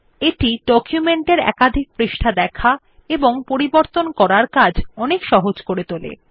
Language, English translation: Bengali, It makes the viewing and editing of multiple pages of a document much easier